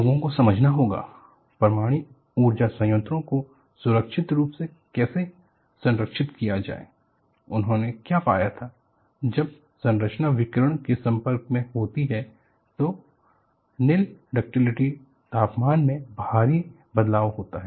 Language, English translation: Hindi, People have to understand, how to safely guard the nuclear power plants; what they found was, when the structure is exposed to radiation, there is a drastic change happens on the nil ductility temperature